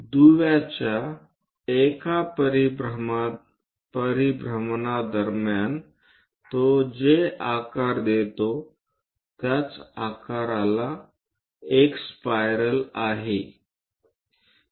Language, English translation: Marathi, During one revolution of the link, the shape what it forms is a spiral